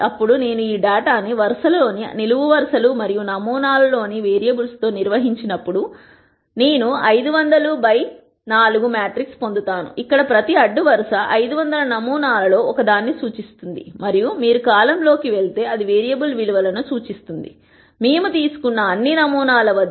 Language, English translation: Telugu, Then when I organize this data with the variables in the columns and samples in the row, then I will get a 500 by 4 matrix, where each row represents one of the 500 samples and if you go across the column, it will represent the variable values, at all the samples that we have taken